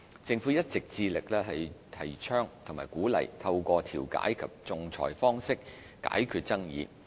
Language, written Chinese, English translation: Cantonese, 政府一直致力提倡和鼓勵透過調解及仲裁方式解決爭議。, The Government has all along been promoting and encouraging the resolution of disputes through mediation and arbitration